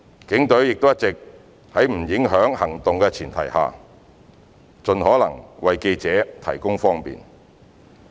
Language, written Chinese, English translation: Cantonese, 警隊亦一直在不影響行動的前提下，盡可能為記者提供方便。, Indeed every possible effort has been made for reporters convenience provided that police operations will not be affected